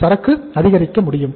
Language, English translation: Tamil, So inventory can increase